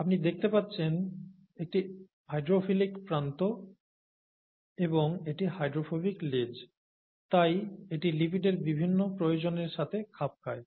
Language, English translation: Bengali, As you can see this is a hydrophilic end and this is a hydrophobic tail, so this fits into the various needs of a lipid